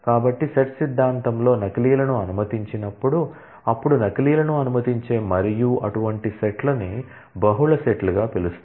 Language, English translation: Telugu, So, there is a; this is called when duplicates are allowed in set theory, then such sets where duplicates are allowed and known as multi sets